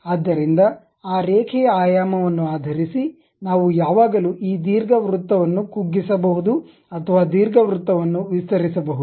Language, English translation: Kannada, So, based on that Line dimension we can always either shrink this ellipse or enlarge the ellipse